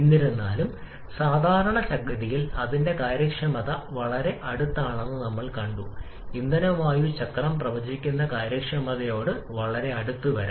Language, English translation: Malayalam, However commonly we have seen that the efficiency of the actual cycle can be quite close to the efficiency predicted by the fuel air cycle